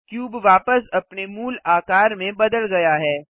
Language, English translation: Hindi, The cube changes back to its original form